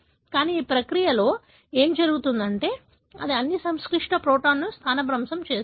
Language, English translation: Telugu, But, during this process, what happens is, it displaces all the complex protein